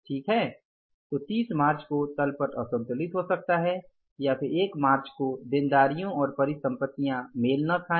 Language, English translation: Hindi, So, on 30th March, the balance sheet position may be imbalanced or on the first March again the liabilities and assets may not match